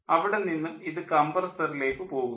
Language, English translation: Malayalam, here we are having a compressor